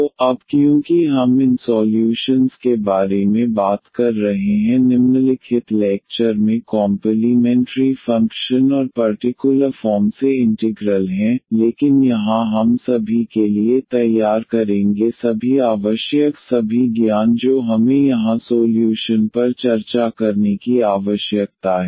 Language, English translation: Hindi, So, now because we will be talking about these solutions the complimentary function and particular integrals in the following lectures, but to here we will prepare for all the all the requirement all the knowledge we need to discuss the solution here